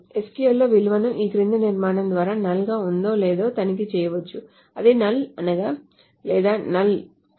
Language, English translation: Telugu, In SQL, a value can be checked whether it is null or not by this following constructs is null or is not null